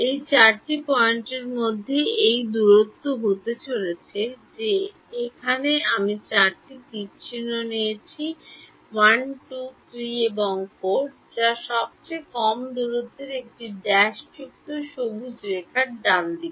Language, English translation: Bengali, It is going to be this distance between these four points that have four arrows that I have drawn over here, 1 2 3 and 4 which is the shortest distance is it the dashed green line right